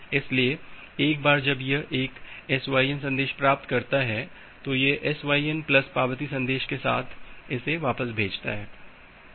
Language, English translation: Hindi, So, once it receives a SYN message it sends back with a SYN plus acknowledgment message